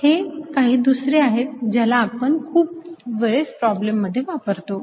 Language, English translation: Marathi, these are the other ones that we use most often in in a many problems